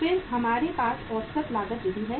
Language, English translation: Hindi, Then we have average cost method